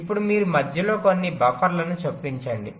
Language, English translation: Telugu, now you insert some buffers in between